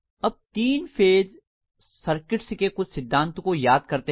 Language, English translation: Hindi, Now let us recall some of the principles corresponding to three phase circuits